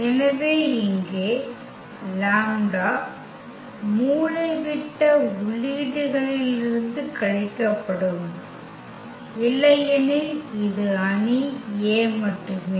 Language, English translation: Tamil, So, here the lambda will be just subtracted from the diagonal entries otherwise this is just the matrix a